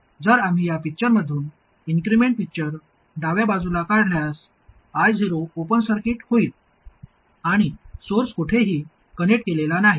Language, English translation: Marathi, If we draw the incremental picture from this picture on the left side, I 0 will become an open circuit and the source is not connected anywhere